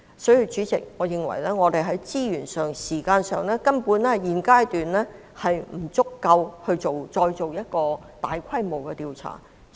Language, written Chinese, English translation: Cantonese, 因此，主席，我認為我們現階段在資源和時間上根本不足以進行大規模的調查。, For this reason President I consider that at this stage our resources and time simply do not allow a large - scale inquiry